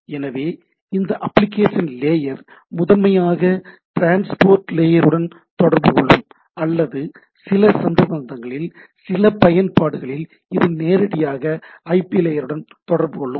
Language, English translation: Tamil, So, these application layer can primarily talks with these transport layer or in some cases in some of the applications it can talk with the directly to the IP layer